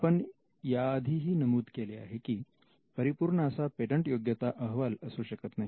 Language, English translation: Marathi, And we had already mentioned that there is no such thing as a perfect patentability search